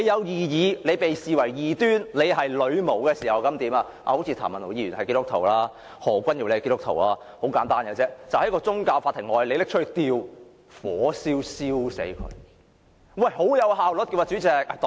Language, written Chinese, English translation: Cantonese, 當你被視為異端教徒或女巫時候便如何——譚文豪議員和何君堯議員好像也是基督徒——很簡單，便是在宗教法庭外，把該等人物活活燒死。, And what would happen to those people who were regarded as heretics or witches―it seems that both Mr Jeremy TAM and Dr Junius HO are Christians―it is so simple . They would be burnt alive to death right outside the court